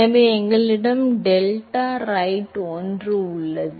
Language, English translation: Tamil, So, we have a 1 by delta right